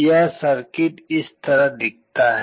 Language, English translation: Hindi, The circuit looks like this